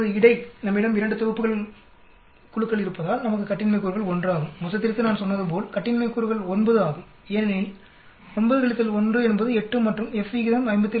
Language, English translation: Tamil, Now between because we have 2 sets of groups we have degrees of freedom is 1, and for the total as I said degrees of freedom is 9, for within 9 minus 1 is 8 and the F ratio will be 57